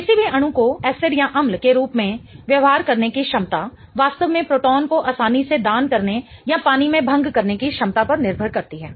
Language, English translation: Hindi, The ability of any molecule to behave as an acid really depends on its ability to easily donate the proton or rather dissociate in water